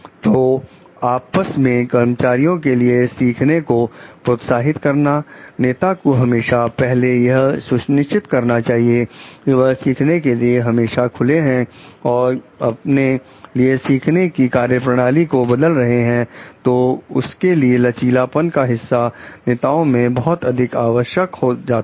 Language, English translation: Hindi, So, to encourage learning amongst themselves for the employees, leader should must first ensure like they are open to learning and changing the course for themselves, so that part of flexibility is very much required for the leader